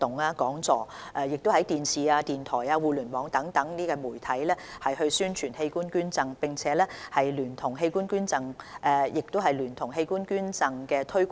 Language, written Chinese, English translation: Cantonese, 今年11月至12月期間，我們已安排一輛器官捐贈宣傳車到訪不同地點，推廣及方便市民登記器官捐贈。, This year we have arranged an organ donation promotion vehicle to various locations from November to December in order to raise public awareness of organ donation and facilitate organ donation registration